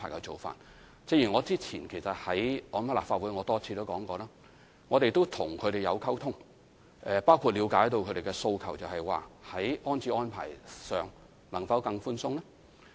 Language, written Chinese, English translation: Cantonese, 正如我早前在立法會上多次指出，我們與他們保持溝通，包括了解他們的訴求，就是在安置安排上，能否更寬鬆呢？, As I have repeatedly pointed out in the Legislative Council previously we have maintained communication with them to understand their concerns . For example can more lenient rehousing arrangements be made?